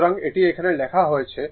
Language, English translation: Bengali, So, that is written here right